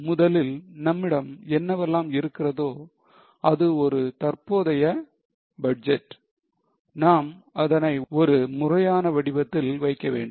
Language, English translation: Tamil, Firstly, whatever is available with us is a current budget we have put it in proper format